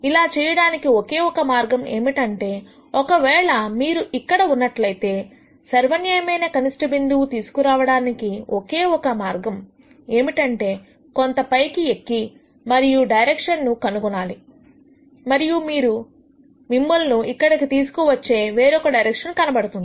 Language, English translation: Telugu, The only way to do it is let us say if you are here the only way to get to global minimum is to really climb up a little more and then nd directions and maybe you will nd another direction which takes you here